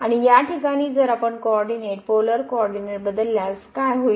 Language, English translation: Marathi, And in this case if we change the coordinate to this polar coordinate what will happen now